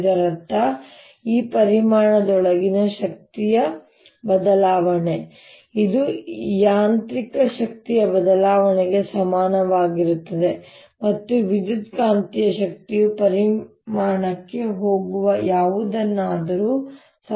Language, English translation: Kannada, this means that the change of the energy inside this volume, which is equal to the change in the mechanical energy plus the electromagnetic energy, is equal to something going into the volume